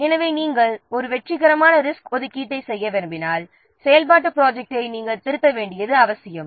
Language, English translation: Tamil, So, if you want to make a successful resource allocation, it might be necessary to revise the activity plan